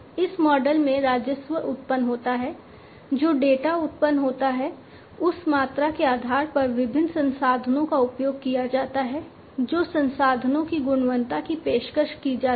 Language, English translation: Hindi, The revenues are generated in this model, based on the volume of the data that is generated, the volume of the different resources that are used, the quality of the resources that are offered